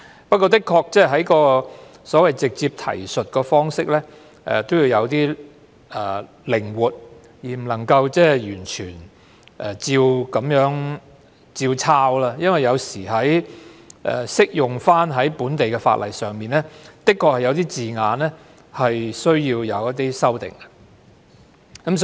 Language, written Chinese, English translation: Cantonese, 不過，的確，直接提述方式也要有些靈活度，不能夠完全照抄，因為有時候適用於本地的法例，的確有需要修訂一些字眼。, But we should indeed adopt some flexibility with the direct reference approach and should not copy directly from those international agreements because in drafting local legislation we sometimes need to localize some of the terms